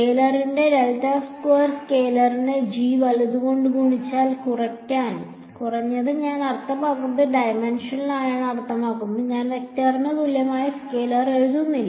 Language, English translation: Malayalam, Del squared of a scalar is scalar multiplied by g right, so, at least I mean dimensionally it make sense I am not writing scalar equal to vector